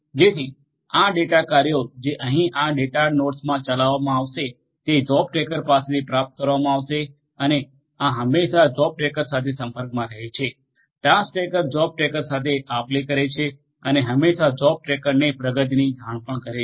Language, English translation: Gujarati, So, the tasks this tasks that are going to be executed over here in this data nodes are going to be retrieved are going to be received from the job tracker and these are going to always be in communication with the job tracker, the task tracker is going to be in communication with the job tracker and these are always going to also report the progress to the job tracker